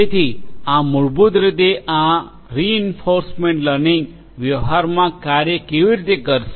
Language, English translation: Gujarati, So, this is basically how this reinforcement learning in practice is going to work